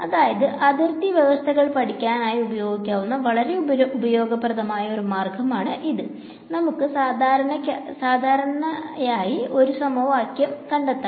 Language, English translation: Malayalam, So, this is a useful trick to learn when we want to apply boundary conditions, we want to get an equation for the normal right